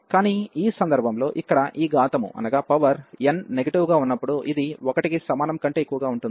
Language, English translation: Telugu, But, in this case this power here, when n is negative this will be a greater than equal to 1